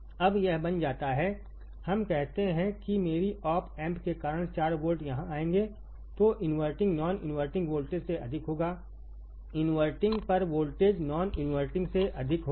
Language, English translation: Hindi, Now, this becomes; let us say because of my op amp becomes 4 volts will come here, then inverting would be greater than non inverting right voltage at inverting will be more than voltage at invert non inverting